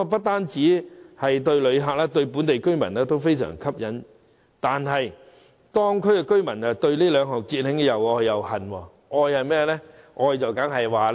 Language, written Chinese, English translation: Cantonese, 雖然這些對旅客及當地居民都非常吸引，但後者卻對這兩項節慶活動又愛又恨。, While these features are attractive to visitors and local residents the latter have mixed feelings about these two festive events